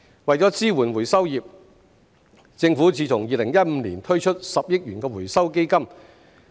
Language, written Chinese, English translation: Cantonese, 為支援回收業，政府自2015年起推出10億元回收基金。, To support the recycling industry the Government has launched a 1 billion Recycling Fund since 2015